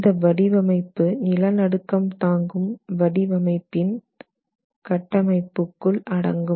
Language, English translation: Tamil, However, this design is within the framework of earthquake resistant design